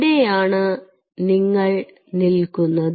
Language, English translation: Malayalam, so this is where you are standing